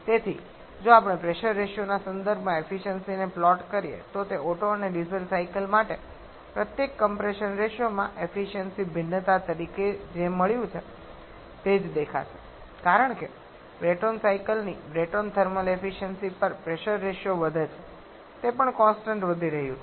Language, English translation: Gujarati, So, if we plot the efficiency in terms of the pressure ratio, then this will look like just what we got as a efficiency variation each compression ratio for Otto and Diesel cycle, as pressure ratio increases on the Brayton thermal efficiency of a Brayton cycle, that also keeps on increasing